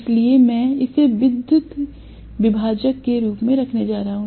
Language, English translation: Hindi, So, I am going to have this as a potential divider